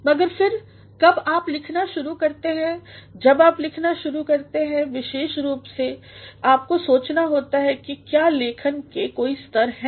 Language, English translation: Hindi, But then, when you start writing when you start writing specifically you also have to think of whether writing has certain stages